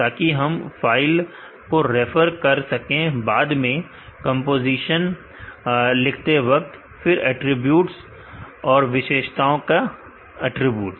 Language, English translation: Hindi, So, that we can refer the file later I am written composition, then there are attributes, attributes of the features or properties